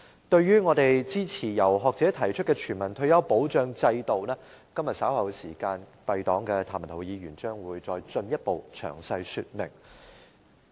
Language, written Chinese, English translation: Cantonese, 對於我們支持由學者提出的全民退休保障制度，今天稍後時間敝黨的譚文豪議員將進一步詳細說明。, Regarding our support for the universal retirement protection system proposed by the academics Mr Jeremy TAM of our party will further give a detailed explanation later today